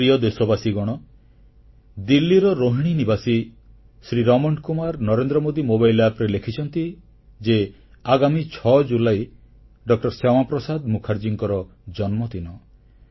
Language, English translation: Odia, Raman Kumar of Rohini, Delhi, has written on 'Narendra Modi Mobile App' that oncoming July 6 happens to be Dr